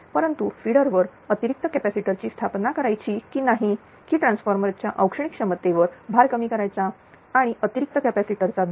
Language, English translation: Marathi, So, determine a whether or not to install the additional capacitors on the feeder to decrease the load to the thermal capability of the transformer or the rating of the additional capacitor right